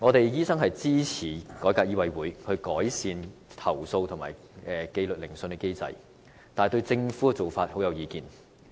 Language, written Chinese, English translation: Cantonese, 醫生支持改革醫委會，改善投訴和紀律研訊機制，但卻不贊同政府的做法。, Medical practitioners do support the reform of MCHK and improvements to the complaint and disciplinary inquiry mechanism but they do not agree to the Governments approach